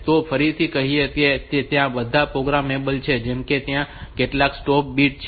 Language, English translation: Gujarati, So, this again, these are all programmable like how many stop bits then what is the baud rate